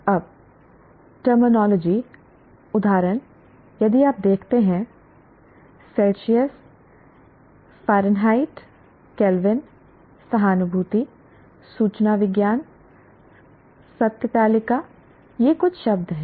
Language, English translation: Hindi, Now, terminology, examples if you look at Celsius, Fahrenheit, Kelvin, empathy, informatics, truth table